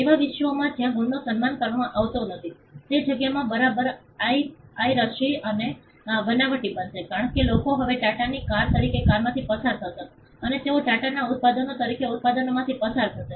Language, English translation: Gujarati, In a world where marks are not respected, they will be rampant piracy and counterfeit happening all over the place, because people would now pass of a car as Tata’s cars or they will pass of products as Tata’s products